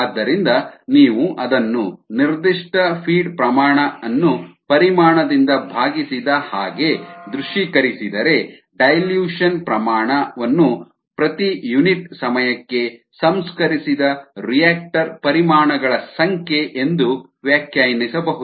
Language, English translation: Kannada, so if you visualize it as certain feed rate divided by the volume, the dilution rate can be interpreted as the number of reactor volumes processed per unit time